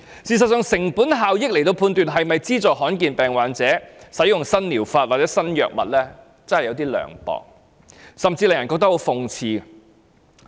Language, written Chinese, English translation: Cantonese, 事實上，以成本效益來判斷是否資助罕見疾病患者使用新療法或新藥物，真是有點涼薄，甚至令人覺得很諷刺。, Actually it is a little heartless or even sarcastic to use cost - effectiveness to assess whether a rare disease patient should use a new treatment or new drug